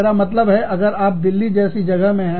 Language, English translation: Hindi, I mean, if you are in a place like Delhi